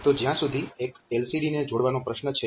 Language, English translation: Gujarati, So, as far as connecting one LCD is concerned